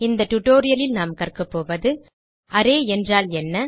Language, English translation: Tamil, In this tutorial we will learn, What is an array